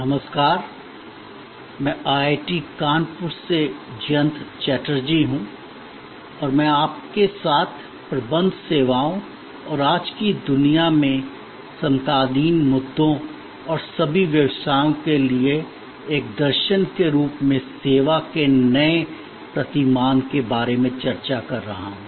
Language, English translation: Hindi, Hello, I am Jayanta Chatterjee from IIT, Kanpur and I am discussing with you about Managing Services and the contemporary issues in today's world and the new paradigm of service as a philosophy for all businesses